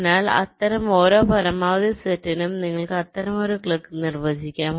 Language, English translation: Malayalam, so for every such maximum set you can define such a clique